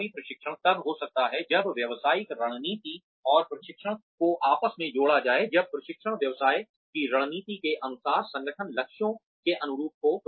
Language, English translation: Hindi, Effective training can happen, only when the business strategy and training are intertwined, when training is carried out, in line with the business strategy, in line with the goals of the organization